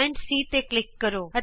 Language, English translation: Punjabi, It shows point C